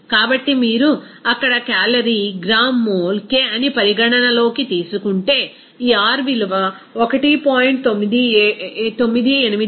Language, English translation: Telugu, So, if you are considering that calorie gram mole K there, this R value will be is equal to 1